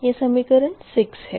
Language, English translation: Hindi, this is equation six